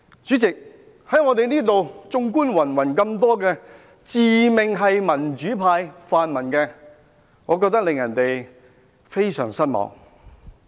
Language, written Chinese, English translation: Cantonese, 主席，綜觀云云自命"民主派"、"泛民"的議員，我覺得他們令人非常失望。, Chairman the numerous Members who set themselves up as democrats or pan - democrats strike me as very disappointing